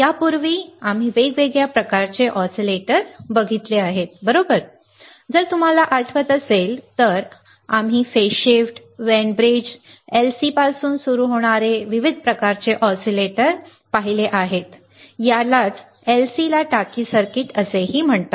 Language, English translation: Marathi, Earlier, we have seen different kind of oscillators, right, if you remember, we have seen different kind of oscillators starting from phase shift, Wein bridge, LC and that is LC is also called tank circuit